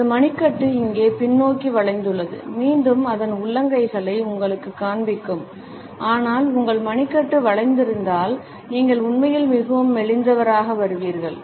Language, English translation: Tamil, And his wrist is bent backwards here, again its great show you palms, but if your wrist is bent you actually come across as more flimsy